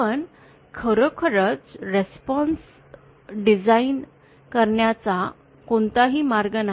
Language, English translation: Marathi, But really there is no way of designing the response